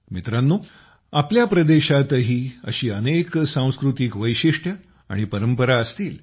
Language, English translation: Marathi, Friends, there will be such cultural styles and traditions in your region too